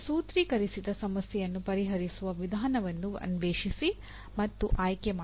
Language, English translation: Kannada, Explore and select a method of solving a formulated problem